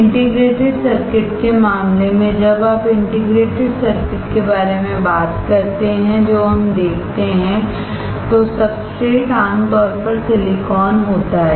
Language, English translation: Hindi, In the case of integrated circuit, when you talk about integrated circuit what we see is, the substrate generally is silicon